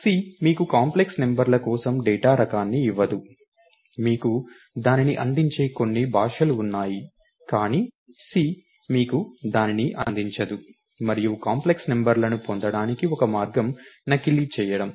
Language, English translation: Telugu, So, C doesn't give you a data type for complex numbers, there are a few languages which give you that, but C doesn't provide you that and one way to get complex numbers is by faking it